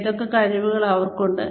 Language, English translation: Malayalam, What are the skills, they have